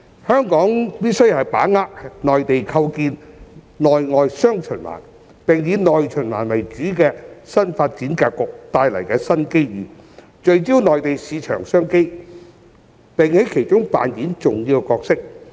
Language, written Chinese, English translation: Cantonese, 香港必須把握內地構建內外"雙循環"，並以"內循環"為主的新發展格局帶來的新機遇，聚焦內地市場商機，並在其中扮演重要的角色。, Hong Kong must grasp the new opportunities arising from the Mainlands new development setting marked by the promotion of dual circulation involving the domestic and external markets and dominated by domestic circulation . It must focus on the business opportunities in the Mainland market and seek to play an important role in the process